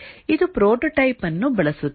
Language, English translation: Kannada, It uses prototyping